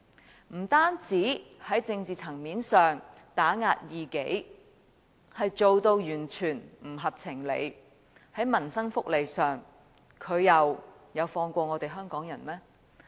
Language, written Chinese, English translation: Cantonese, 他不單在政治層面上打壓異己，做法完全不合情理，而在民生福利上，他又有放過我們香港人嗎？, At the political level his suppression of opponents is absolutely unreasonable . Meanwhile has he spared the people of Hong Kong when it comes to peoples livelihood and welfare?